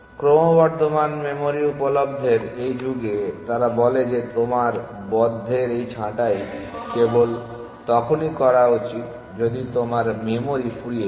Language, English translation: Bengali, In this era of increasing memory available they say that you should do this pruning of closed only if you are running out of memory essentially